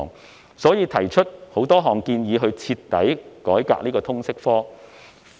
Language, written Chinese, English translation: Cantonese, 因此，他們提出多項建議，以徹底改革通識科。, They have therefore put forth a number of suggestions to thoroughly reform the LS subject